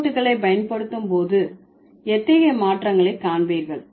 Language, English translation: Tamil, Then when these suffixes are used, what kind of changes do you see